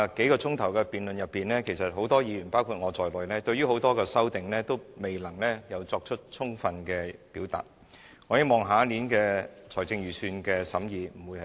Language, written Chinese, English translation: Cantonese, 在昨天數小時的辯論裏，很多議員和我對於很多修正案也未能作出充足的表述，我希望下年的財政預算案審議不會如此。, During the several hours of debate yesterday many Members and I were unable to speak sufficiently on many amendments . Anyway let me return to this discussion now